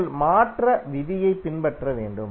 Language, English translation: Tamil, You have to just follow the conversion rule